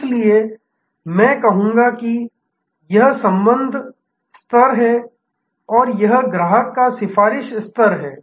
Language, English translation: Hindi, So, from I would say this is the relationship level and this is the customer advocacy level